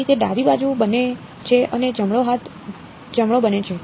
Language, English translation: Gujarati, So, this becomes that is the left hand side and right hand side becomes right